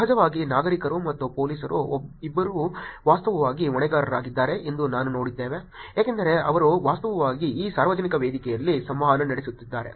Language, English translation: Kannada, Of course, we saw that both citizens and police are actually accountable because they are actually interacting on this public forum